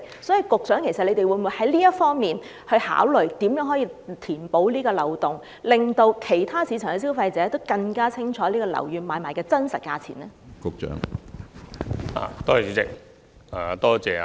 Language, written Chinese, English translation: Cantonese, 所以，局長會否就這方面考慮如何能夠填補有關漏洞，令市場上其他消費者更清楚知道樓宇買賣的真實價錢呢？, In view of this will the Secretary consider how the loophole in this regard can be plugged so that other consumers in the market can know clearly the actual transaction prices of properties?